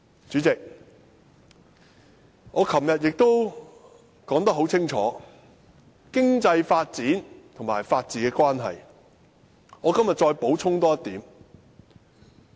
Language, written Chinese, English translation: Cantonese, 主席，我昨天已就經濟發展與法治的關係，作了清楚的解說，我今天多補充一點。, President yesterday I already explained in detail the relationship between economic development and the rule of law and I wish to add one more point today